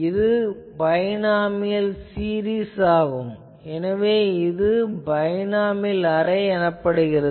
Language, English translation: Tamil, So, this is nothing but binomial series so, that is why this array is called binomial array